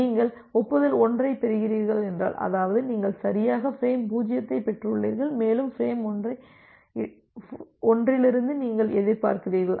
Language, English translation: Tamil, If you are getting an acknowledgement 1; that means, you have correctly received frame 0 and you are expecting from for frame 1